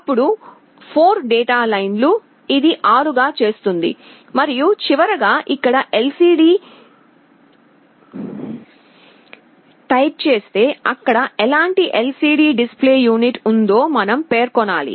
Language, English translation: Telugu, Then the 4 data lines, this makes it 6, and lastly LCD type here, we have to specify what kind of LCD display unit is there